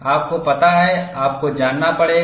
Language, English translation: Hindi, You know, you will have to know